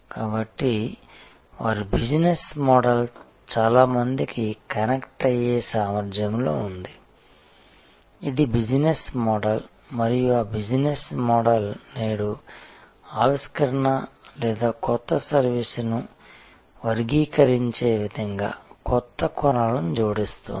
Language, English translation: Telugu, So, their business model is in this ability to connect many to many, this is the business model and that business model is today adding new dimensions to this way of classifying innovation or new service